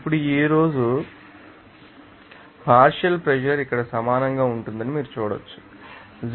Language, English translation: Telugu, Now at today, so, you can see that partial pressure of will be equal to here total temperature is given 0